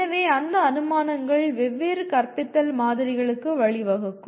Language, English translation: Tamil, So those assumptions lead to different models of teaching